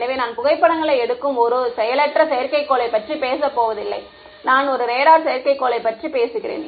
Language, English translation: Tamil, So, I am not talking about a passive satellite which just takes photographs, I am talking about a radar satellite